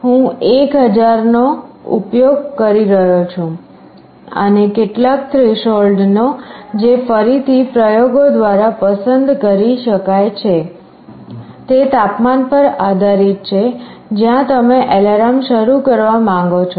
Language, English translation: Gujarati, I am using 1000, and some threshold that again can be chosen through experimentation; depends on the temperature where you want to start the alarm